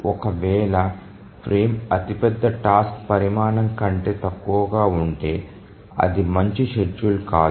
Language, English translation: Telugu, The frame if it becomes lower than the largest task size then that's not a good schedule